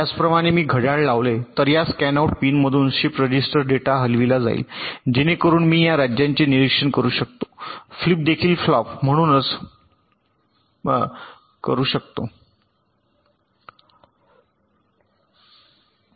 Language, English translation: Marathi, similarly, if i apply clocks, the shift register data will be shifted out from this scanout pin so i can observe the states of the flip flops also